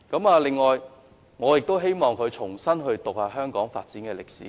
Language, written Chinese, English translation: Cantonese, 此外，我希望鄭議員重新閱讀香港的發展歷史。, Besides I hope Dr CHENG can read Hong Kongs development history again